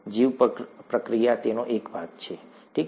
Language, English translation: Gujarati, Bioreactor is a small part of it, okay